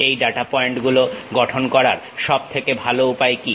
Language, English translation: Bengali, What is the best way of constructing these data points